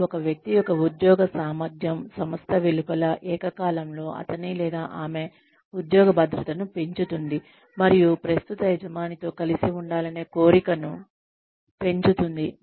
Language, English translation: Telugu, s employability, outside the company, simultaneously, increasing his or her job security, and desire to stay with the current employer